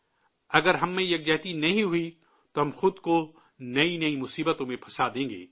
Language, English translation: Urdu, If we don't have unity amongst ourselves, we will get entangled in ever new calamities"